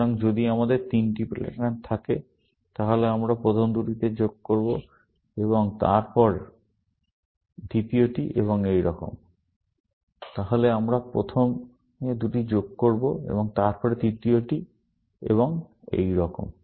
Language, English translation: Bengali, So, if we have three patterns, then we will first join two, and then, the third one, and so on